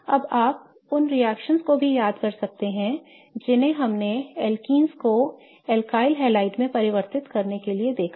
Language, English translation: Hindi, Now, you may also remember the reactions which we have seen to convert alkenes to alkaliides